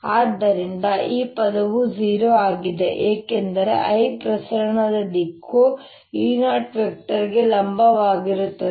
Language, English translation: Kannada, so this term is zero because i, the propagation direction, is perpendicular to e zero